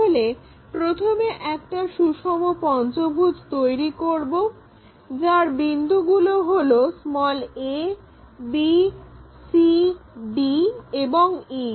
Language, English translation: Bengali, So, first of all, we make a regular pentagon having a, b, c and d points